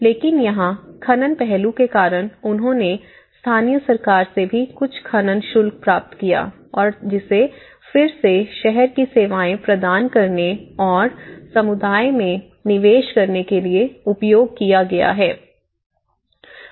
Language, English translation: Hindi, But here, because of the mining aspect, so they also the local government also received some mining fees and which again it has been in turn used to provide the city services and make investments in the community